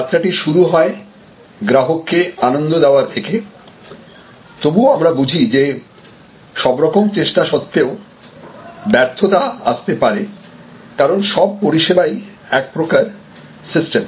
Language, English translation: Bengali, The journey starts from customer delight, but we recognize the fact that in spite of all efforts, there may be failures, because after all services are provided as a system